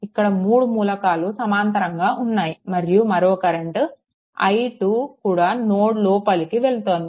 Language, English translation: Telugu, So, these 3 things are in parallel and another current i 2 is also entering into the node